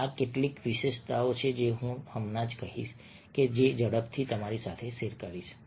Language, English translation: Gujarati, these are some of the features, ah, which i will just say quickly share with you